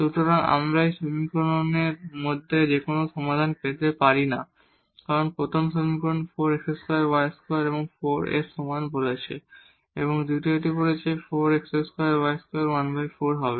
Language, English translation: Bengali, So, we cannot get any solution out of these 2 equations because first equation says 4 x square plus y square is equal to 4 while the second says that 4 x square plus y square will be 1 by 4